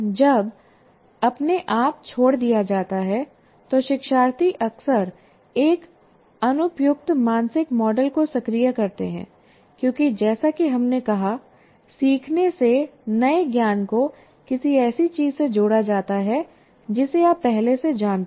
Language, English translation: Hindi, When left on their own learners often activate an inappropriate mental model because as we said, the learning constitutes somehow connecting the new knowledge to something that you already know